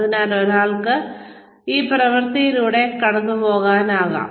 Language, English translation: Malayalam, So, one can go through this act